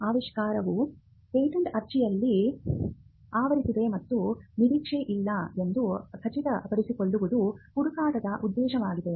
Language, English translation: Kannada, The objective of this search is to ensure that the invention as it is covered in a patent application has not been anticipated